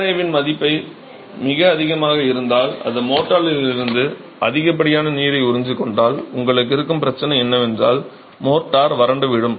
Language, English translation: Tamil, If the IRA is too high that is it is absorbing too much of water from the motor the problem that you are going to have is the motor will dry up